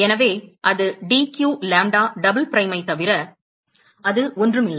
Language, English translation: Tamil, So, and that is nothing but, that is d q lambda double prime